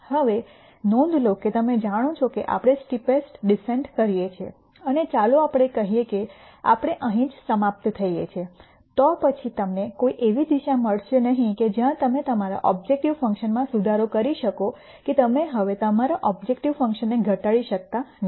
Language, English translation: Gujarati, Now, notice that you know we do the steepest descent and let us say we end up here, then at that point you will nd no direction where you can improve your objective function that is you cannot minimize your objective function anymore